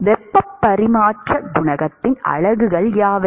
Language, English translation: Tamil, What are the units of heat transfer coefficient